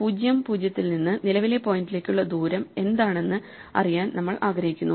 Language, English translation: Malayalam, So, we want to know what is the distance from 0, 0 to the current point